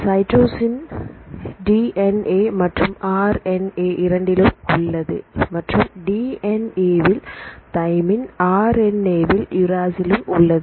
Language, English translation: Tamil, So, cytosine is both in the DNA and RNA and the difference between the thymine and uracil; thymine you can see in the DNA and the uracil you can see in RNA